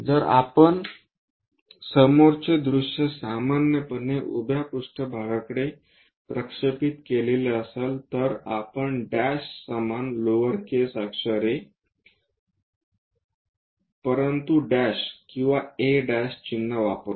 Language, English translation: Marathi, If it is a front view which we usually projected on to vertical plane, we use a symbol’ the dash same lower case letter a, but a dash or a’